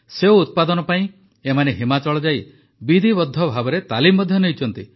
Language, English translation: Odia, To learn apple farming these people have taken formal training by going to Himachal